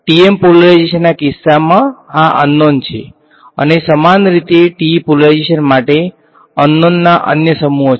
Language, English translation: Gujarati, H x H y, these are the unknowns in the case of TM polarization and analogously for TE polarization the other sets of unknowns are there